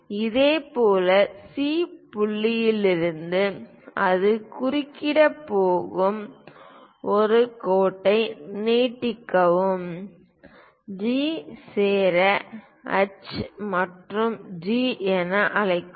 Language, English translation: Tamil, Similarly, from C point extend a line where it is going to intersect, call that one as G join H and G